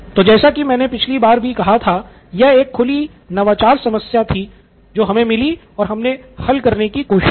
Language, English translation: Hindi, So again like I said last time this was an open innovation problem that we found